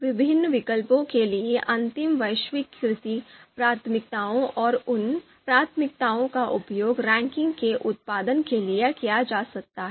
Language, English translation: Hindi, The final you know globalized you know priorities for you know different alternatives and those priorities could be used to produce the ranking